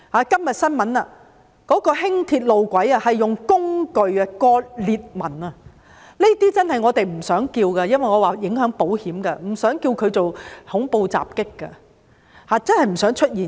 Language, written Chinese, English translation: Cantonese, 今天新聞報道，輕鐵路軌被人用工具切割，出現裂紋，這些我們真的不想稱之為恐怖襲擊，因為影響到保險，真的不想出現。, Todays news reports revealed that someone had used tools to cut Light Rail tracks causing cracks to appear . We really do not want to call these incidents terrorist attacks because there will be an impact on insurance coverage . We really do not want them to occur